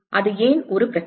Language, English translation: Tamil, Why is that a problem